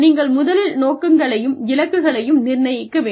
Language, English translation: Tamil, You first set goals and targets